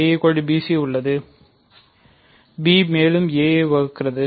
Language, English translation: Tamil, So, we have a divides b and b divides a